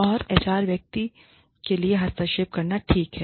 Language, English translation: Hindi, And, it is okay, for the HR person, to intervene